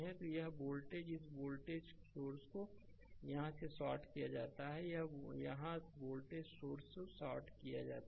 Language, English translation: Hindi, So, this voltage this voltage source is shorted here, voltage source is shorted here right here